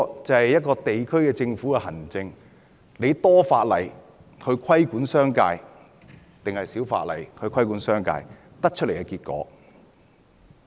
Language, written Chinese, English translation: Cantonese, 這是一個地區政府的行政——要多法例規管商界，還是少法例規管商界——所得的結果。, This is an outcome dictated by the policy of a local government―whether it inclines to more legislative regulation on the business sector or less